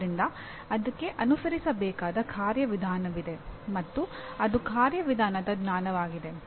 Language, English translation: Kannada, So there is a procedure to be followed and that is procedural knowledge